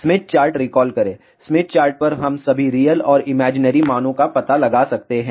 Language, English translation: Hindi, Recall Smith chart, on the Smith chart, we can locate all the real and imaginary values of the impedances